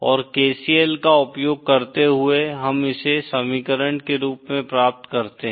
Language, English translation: Hindi, And using KCL, we get this as the equation